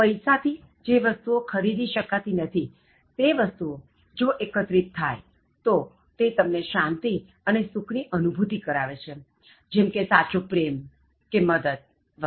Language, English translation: Gujarati, Gathering things which money cannot buy can really ensure peace and happiness such as help such as genuine love, etc